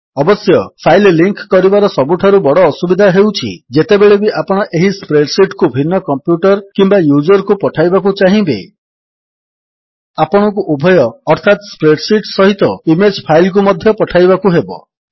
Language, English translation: Odia, However, one major Disadvantage of linking the file is that, Whenever you want to send this spreadsheet to a different computer or user, You will have to send both, the spreadsheet as well as the image file